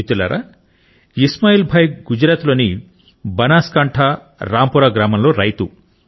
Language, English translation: Telugu, Friends, Ismail Bhai is a farmer in Rampura village of Banaskantha in Gujarat